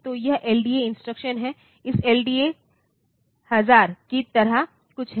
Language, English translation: Hindi, So, there is this LDA instruction is something like this LDA 1000